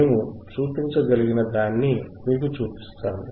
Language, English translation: Telugu, We will see what we can we can show it to you